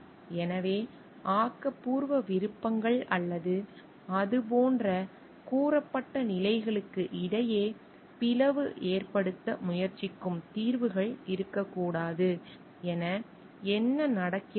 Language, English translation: Tamil, So, what happens like there should not be solutions which will try to make a divide between the creative options or the like stated positions